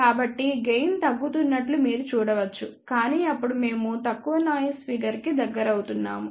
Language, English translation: Telugu, So, you can see that gain is reducing, but then we are getting closer to the lowest noise figure